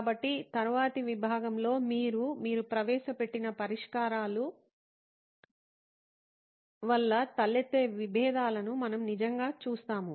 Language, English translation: Telugu, So in the next segment we will actually be looking at conflicts arising because of solutions that you have introduced